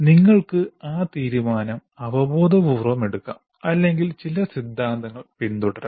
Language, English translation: Malayalam, You may do that decision intuitively or following some theory